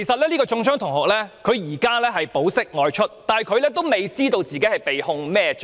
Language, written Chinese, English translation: Cantonese, 中槍的同學已經保釋外出，但他還未知道被控甚麼罪名。, The student who was shot has been released on bail but it is not known what offence he will be prosecuted for